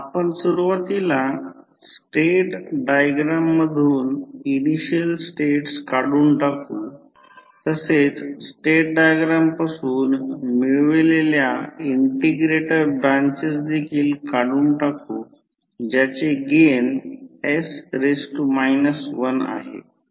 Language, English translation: Marathi, We will remove those initially states from the state diagram, we also remove the integrator branches which have gain as 1 by s from the state diagram